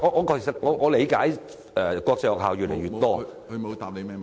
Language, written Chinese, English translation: Cantonese, 主席，我理解國際學校越來越多......, President I understand that more and more international schools